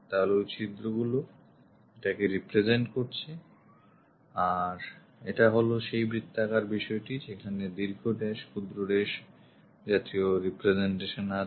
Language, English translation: Bengali, So, those holes represents this because this is a circular one long dash, short dash, long dash and short dash kind of representation